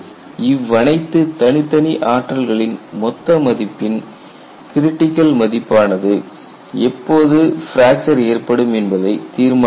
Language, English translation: Tamil, There should be a critical value for the total energy and that could decide when the fracture would occur